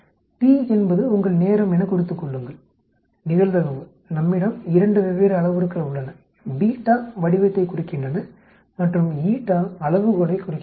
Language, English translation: Tamil, Note t is your time, probability, we have 2 different parameters beta indicates shape and eta indicates scale